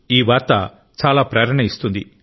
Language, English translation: Telugu, This news is very inspiring